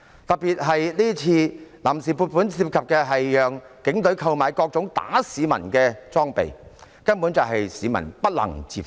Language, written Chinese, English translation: Cantonese, 尤其是這項臨時撥款涉及讓警隊購買各種打壓市民的裝備，根本是市民不能接受的。, In particular the funds on account involve allowing the Police to buy all kinds of equipment to oppress the people